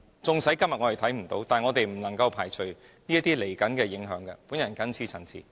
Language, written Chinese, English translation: Cantonese, 縱使今天看不見，但我們不能排除出現這些潛在影響的可能性。, However we cannot rule out the possibility of such potential impact even though it is not felt today